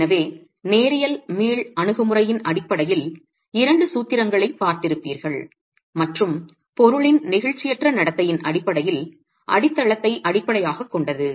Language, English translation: Tamil, So that is, so we've looked at couple of formulations, one based on a linear elastic approach and one which basis, base, bases itself on the inelastic behavior of the material